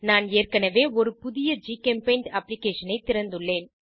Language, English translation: Tamil, I have already opened a new GChemPaint application